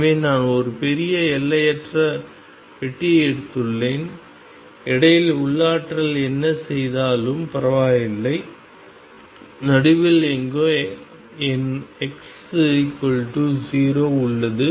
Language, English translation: Tamil, So, I have taken a huge infinite box and in between here is the potential no matter what the potential does and somewhere in the middle is my x equals 0